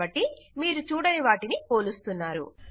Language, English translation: Telugu, So, youre comparing what you cant see